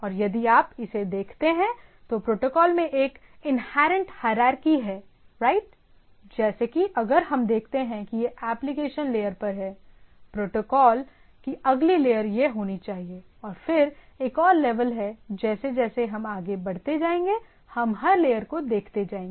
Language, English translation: Hindi, And if you look at it there is a inherent hierarchy in the protocol itself right, like if we see these are at the upper application layer, then the next layer of protocols should be there and then there is a another level of things and go on going to the things